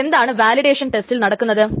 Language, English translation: Malayalam, Now what exactly are the validation tests that is being done